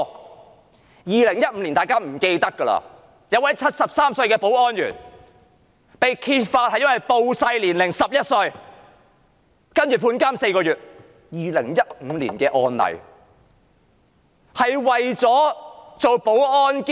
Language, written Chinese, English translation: Cantonese, 在2015年，有一名73歲的保安員被揭發謊報年齡，少報了11歲，然後被判監4個月，這是2015年的案例。, In 2015 a 73 - year - old security guard was found lying about his age and claiming he was 11 years younger . He was sentenced to four - month imprisonment . This is a case in 2015